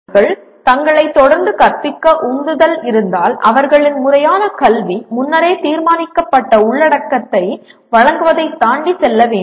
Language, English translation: Tamil, If students are to be motivated and equipped to continue teaching themselves their formal education must go beyond presentation of predetermined content